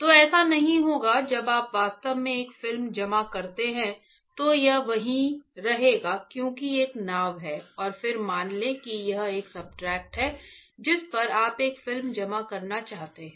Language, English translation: Hindi, So, it will does not happen when you actually deposit a film it will stay there because there is a boat and then let say this is a substrate on which you want to deposit a film